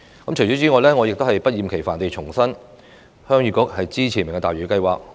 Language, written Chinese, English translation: Cantonese, 我不厭其煩地重申，鄉議局支持"明日大嶼"計劃。, I reiterate the Heung Yee Kuks support for the Lantau Tomorrow Vision project